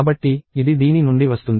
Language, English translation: Telugu, So, that comes from this